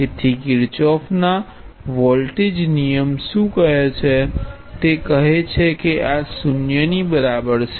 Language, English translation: Gujarati, This is Kirchhoff’s voltage law, what does this mean why this is useful